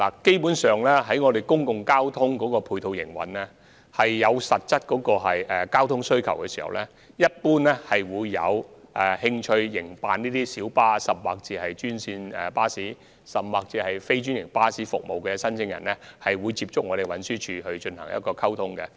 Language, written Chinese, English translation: Cantonese, 基本上，當公共交通服務出現實質需求時，有興趣營辦專線小巴、專營巴士，甚或非專營巴士服務的申請人會主動接觸運輸署進行溝通。, Basically when actual demands for certain public transport services spring up applicants who are interested in operating green minibus services franchised bus services or even non - franchised bus services will actively approach TD and liaise with the department in this regard